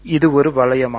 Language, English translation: Tamil, Is this a ring